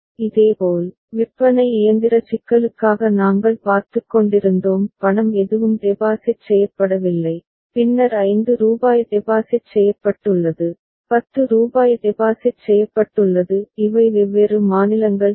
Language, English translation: Tamil, Similarly, for vending machine problem we were looking at; no money has been deposited, then rupees 5 has been deposited, rupees 10 has been deposited; these are different states ok